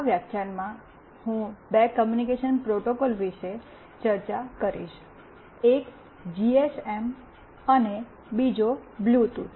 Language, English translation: Gujarati, In this lecture, I will be discussing about two communication protocols, one is GSM and another is Bluetooth